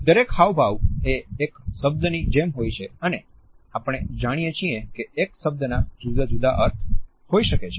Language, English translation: Gujarati, Each gesture is like a single word and as we know a word may have different meaning